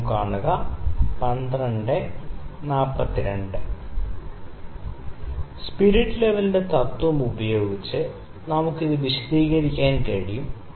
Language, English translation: Malayalam, So, I can explain this using the principle of the spirit level here